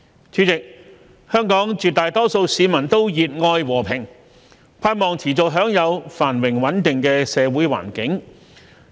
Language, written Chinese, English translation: Cantonese, 主席，香港絕大多數市民都熱愛和平，盼望持續享有繁榮穩定的社會環境。, President most Hong Kong people are peace - loving and want to continue to enjoy a prosperous and stable social environment